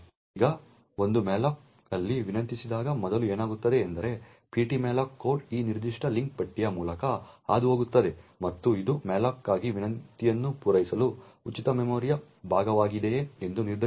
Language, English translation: Kannada, Now whenever there is a malloc that gets requested what happens first is that the ptmalloc code would pass through this particular link list and determining whether there is a free chunk of memory that it can satisfy the request for malloc